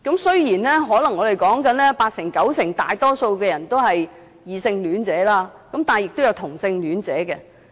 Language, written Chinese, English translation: Cantonese, 雖然"相關人士"中，可能大多數人都是異性戀者，但亦有同性戀者。, The majority of related person may be heterosexuals but there are also homosexuals